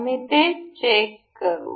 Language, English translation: Marathi, We will check with this